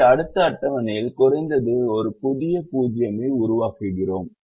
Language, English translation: Tamil, so we create atleast one new zero in the next table